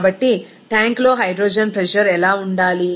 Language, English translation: Telugu, So, what should be the hydrogen pressure in the tank